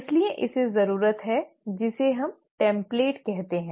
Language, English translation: Hindi, So it needs what we call as a template